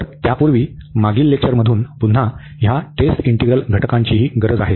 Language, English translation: Marathi, So, before that we also need these test integrals again from the previous lecture